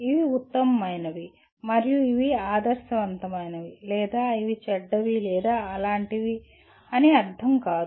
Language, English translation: Telugu, It does not mean these are the best and these are the ideal or these are bad or anything like that